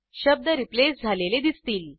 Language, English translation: Marathi, You can see that the words are replaced